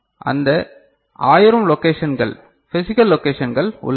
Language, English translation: Tamil, That 1000 such locations are there right, physical locations are there